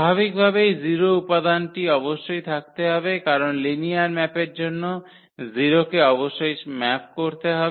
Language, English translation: Bengali, Naturally, the 0 element must be there because the 0 must map to the 0 for the linear map